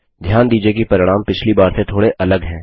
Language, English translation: Hindi, Observe that the results are slightly different from last time